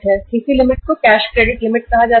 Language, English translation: Hindi, CC limit is called as cash credit limit